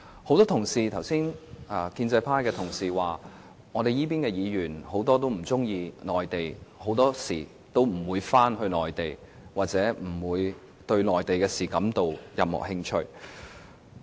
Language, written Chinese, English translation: Cantonese, 剛才很多建制派同事說，這邊很多議員不喜歡內地，很多時候不願意回內地，也不對內地的事感到有任何興趣。, Just now many pro - establishment Members talked about our dislike of the Mainland our unwillingness to visit the Mainland and our indifference to Mainland affairs